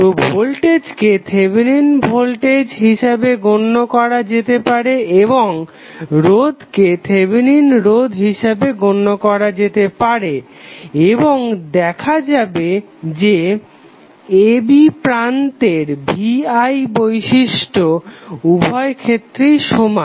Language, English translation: Bengali, So, voltage would be can set as a Thevenin voltage and resistance would be consider as Thevenin resistance and we will see that the V I characteristic across terminal a and b will be same in both of the cases